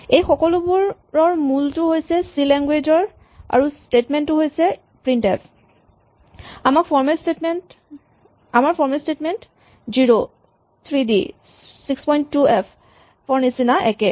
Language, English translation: Assamese, These all have their origin from the language C and the statement called printf in C, so the exact format statements in our 0, 3d and 6